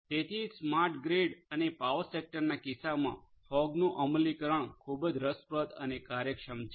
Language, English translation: Gujarati, So, that is why in the case of smart grid and power sector as well this thing is very interesting the implementation of fog is very interesting and efficient